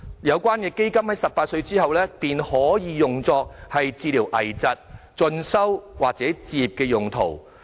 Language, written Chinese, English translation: Cantonese, 有關的基金在18歲後可用作治療危疾、進修及置業用途。, The fund may be used for treating critical illnesses further studies and home acquisition after the age of 18